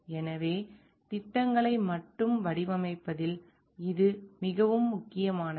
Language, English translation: Tamil, So, this becomes more important with respect to design only projects